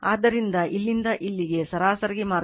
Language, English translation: Kannada, So, that is why from here to here the mean path it is marked 0